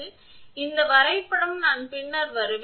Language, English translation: Tamil, So, this diagram I will come later